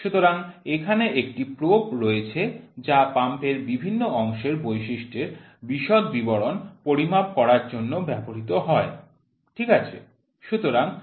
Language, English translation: Bengali, So, here is a probe which is used for measuring the pump housing feature details, ok